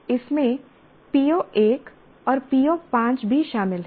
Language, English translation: Hindi, It is included PO1 and PO5 as well